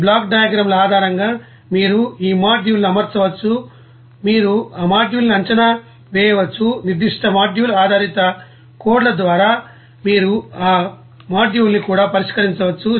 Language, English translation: Telugu, And based on this block diagram you can arrange this module and then you can you know assess that you know module and also you can solve that module by is particular module based codes